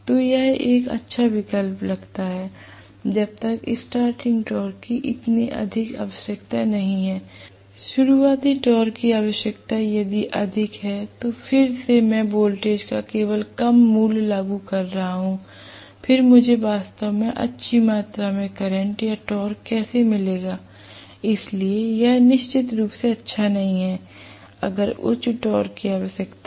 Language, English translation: Hindi, So this sounds like a good option provided again the starting torque requirement is not so high, the starting torque requirement if it is high, again I am applying only lower value of voltage, then how will I get really a good amount of current or good amount of torque, so this also definitely not good for, if high torque is required